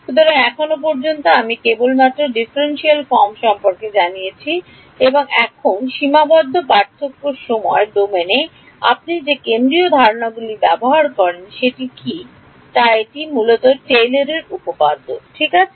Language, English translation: Bengali, So, so far I have only told about the differential form and now what is the what is the central ideas that you use in finite differences time domain it is basically built on Taylor’s theorem ok